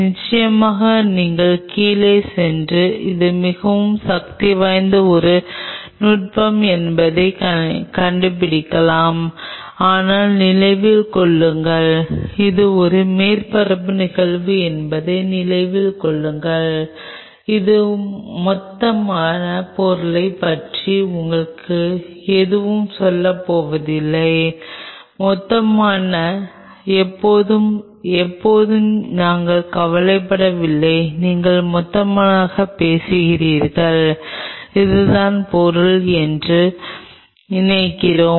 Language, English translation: Tamil, Of course, you can even go down and figure that out it is that powerful a technique, but remember, remember it is a surface phenomenon it is not going to tell you anything about the bulk material and we are not concerned about the bulk and when you talk about the bulk, I talk about suppose this is the material